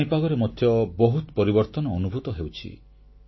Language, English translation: Odia, Quite a change is being felt in the weather